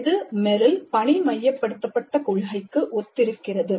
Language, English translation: Tamil, This corresponds to the task centered principle of Meryl